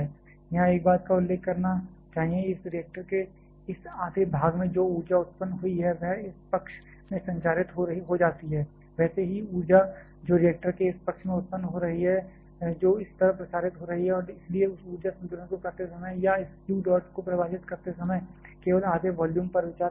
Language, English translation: Hindi, Here, one thing I should mention, the energy that has been produced in this half of this reactor that gets transmitted into this side similarly the energy that is getting produced in this side of the reactor that is getting transmitted in this side and therefore, we are only considering half of volume while doing this energy balance or while defining this q dot